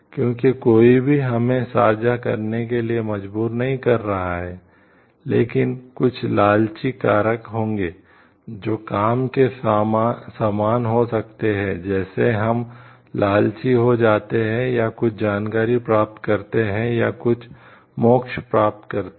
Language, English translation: Hindi, Because nobody forces us to share yes there will be some like greed factor, which may like work like we become greedy, or getting some information or some deliverables